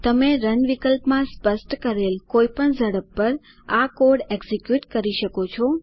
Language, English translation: Gujarati, You can execute this code at any of the speeds specified in the Run option